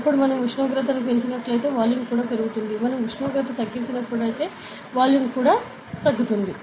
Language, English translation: Telugu, Then when we increase the temperature volume will also increase ok, when we decrease the temperature volume will decrease